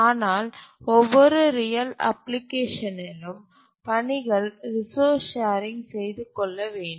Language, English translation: Tamil, But then in almost every real application the tasks need to share resources